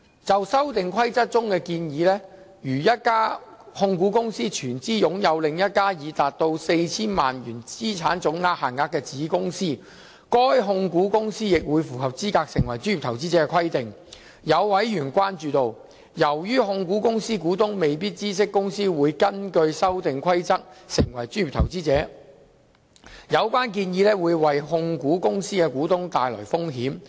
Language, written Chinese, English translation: Cantonese, 就《修訂規則》中建議，如一家控股公司全資擁有另一家已達到 4,000 萬元資產總值限額的子公司，該控股公司亦會符合資格成為專業投資者的規定，有委員關注到，由於控股公司股東未必知悉公司會根據《修訂規則》成為專業投資者，有關建議會為控股公司的股東帶來風險。, It is suggested in the Amendment Rules that if a holding company wholly owns a subsidiary which has met the total asset level of 40 million the holding company itself will also qualify as a professional investor . With regard to this a member has expressed concern that as shareholders of the holding company may not know that the company would become a professional investor under the Amendment Rules the suggestion might bring risk to shareholders of the holding company